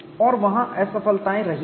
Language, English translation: Hindi, And failures have been there